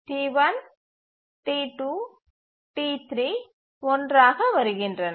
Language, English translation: Tamil, So, T1, T2, T3 arrive together